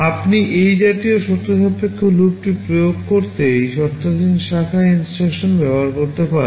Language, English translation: Bengali, You can use this conditional branch instruction to implement this kind of conditional loop